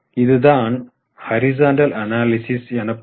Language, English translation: Tamil, This is known as horizontal analysis